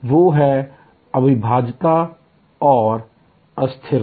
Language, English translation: Hindi, Those are inseparability and perishability